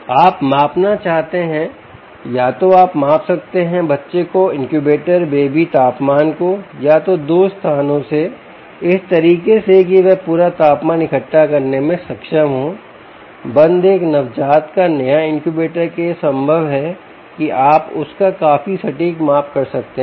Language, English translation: Hindi, you want to measure either you can measure the baby is the incubator come baby temperature, either from two locations, ah in a manner that its able to gather the complete ah um temperature of the closed, a new natal, the new, the incubator